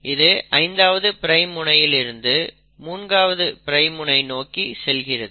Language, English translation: Tamil, This strand has a 5 prime end here and a 3 prime end here